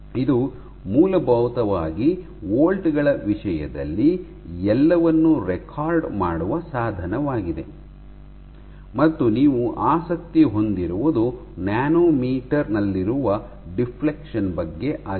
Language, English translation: Kannada, It essentially because the instrument is recording everything in terms of volts; what you are interested in is in deflection which is in nanometers